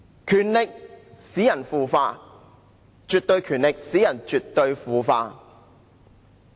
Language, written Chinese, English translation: Cantonese, 權力使人腐化，絕對權力使人絕對腐化。, Power corrupts and absolute power corrupts absolutely